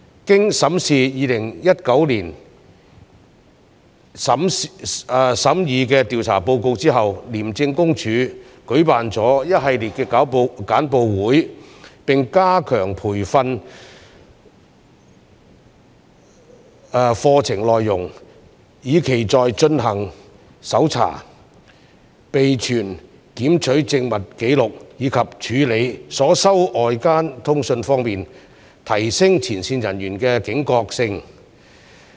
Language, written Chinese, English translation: Cantonese, 經審視2019年審議的調查報告後，廉政公署舉辦了一系列簡報會並加強培訓課程內容，以期在進行搜查、備存檢取證物紀錄，以及處理所收到外間通訊方面，提升前線人員的警覺性。, After a careful examination of the issues identified in the investigation reports considered during 2019 ICAC organized a number of briefing sessions and strengthened the training programmes for frontline officers with a view to enhancing their vigilance in conducting search operations maintaining records of seizures and handling of incoming correspondences